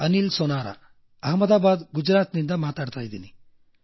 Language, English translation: Kannada, Anil Sonara speaking from Ahmedabad, Gujarat